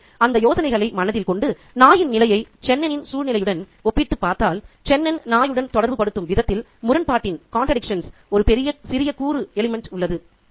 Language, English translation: Tamil, So, having those ideas in mind if we compare the the dog situation to Chennan's action, there is a slight element of contradiction there in terms of the way Chenin relates to the dog